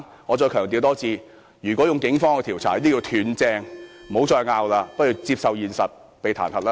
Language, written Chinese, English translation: Cantonese, 我再強調一次，如果是警方調查，這叫"斷正"，不應再爭辯，不如接受現實被彈劾。, Let me reiterate they have been caught red - handed in terms of police investigation . LEUNG Chun - ying should stop arguing accept the reality and be impeached